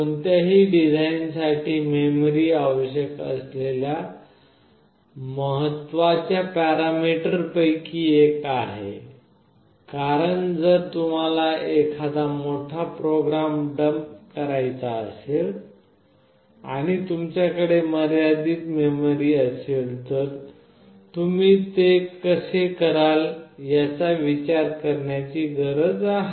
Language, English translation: Marathi, The memory; memory is one of the vital important parameter that is required for any design, because if you want to dump a very large program and you have limited memory you need to think how will you do it